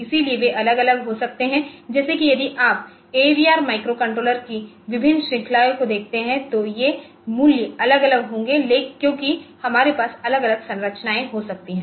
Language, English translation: Hindi, So, they are they are varying like if you look into different series of AVR microcontrollers then these values will be vary accordingly we can have different structures